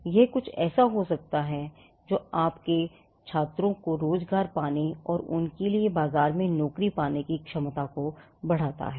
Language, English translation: Hindi, Now, that could come as something that enhances the employability of your students and for them to get a job in the market